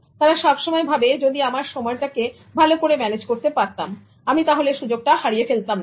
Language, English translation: Bengali, They all the time think that if only I had managed my time better, I would not have missed that opportunity